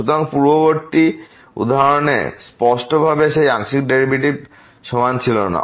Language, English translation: Bengali, So, in the previous example definitely those partial derivatives were not equal